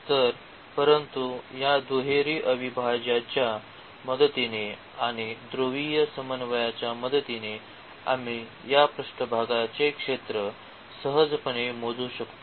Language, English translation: Marathi, So, but with the help of this double integral and with the help of the polar coordinates we could very easily compute this surface area